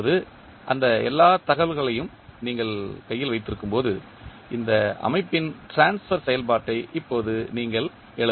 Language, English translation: Tamil, Now, when you are having all those information in hand, you can now write the transfer function of this system